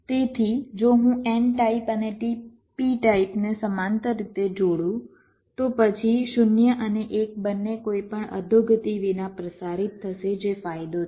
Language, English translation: Gujarati, so if i connect an n type and p type in parallel, then both zero and one will be transmitted without any degradation